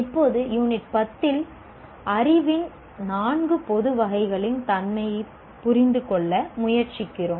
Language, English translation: Tamil, Now in Unit 10, we try to understand the nature of the four general categories of knowledge